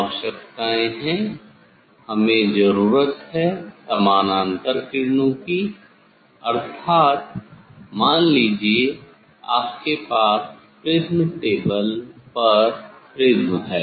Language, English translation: Hindi, requirements are this we need parallel rays means say you have prism on the prism table